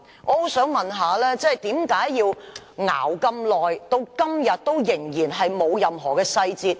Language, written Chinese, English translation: Cantonese, 我很想問局長為何要拖延這麼久，至今仍然沒有任何細節？, I very much wish to ask the Secretary why there has been such a long delay with no detail being provided so far?